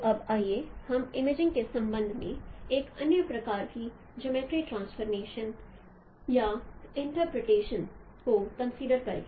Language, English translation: Hindi, So now let us consider another kind of geometric information or interpretations with respect to imaging